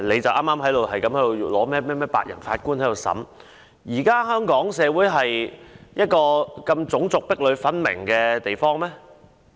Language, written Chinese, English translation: Cantonese, 他又提及甚麼白人陪審團，但香港是一個種族如此壁壘分明的社會嗎？, He also touched on a jury made up of white people but is Hong Kong such a racially divided society?